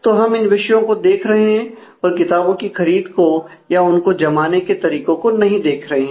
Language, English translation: Hindi, So, we are just looking into these aspects not the procurement of books and organization of the books and so on